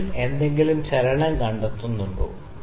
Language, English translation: Malayalam, Do you find any movement in the bubble